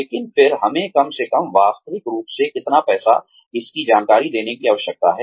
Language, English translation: Hindi, But, then again, we need to be, at least realistically informed about, how much money